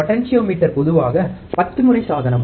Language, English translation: Tamil, Potentiometer is usually 10 turn device